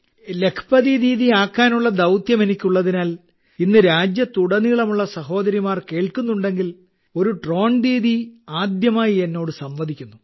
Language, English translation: Malayalam, Because I have a mission to make Lakhpati Didi… if sisters across the country are listening today, a Drone Didi is talking to me for the first time